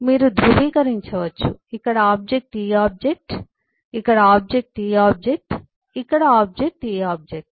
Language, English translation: Telugu, you, you can just eh verify: the object here is this object, the object here is this object, the object here is this object